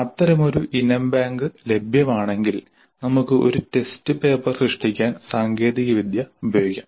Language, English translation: Malayalam, So if such an item bank is available we can use the technology to create a test paper